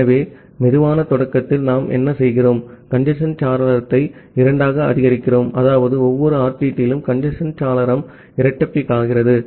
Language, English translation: Tamil, So, what we do at slow start, we increase the congestion window by two that means, the congestion window is doubled up at every RTT